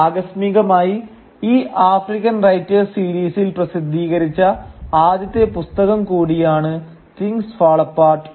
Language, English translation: Malayalam, And incidentally Things Fall Apart was also the first book to be published in that African Writers series